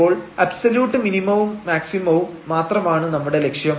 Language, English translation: Malayalam, So, our aim is now to find only the absolute maximum and minimum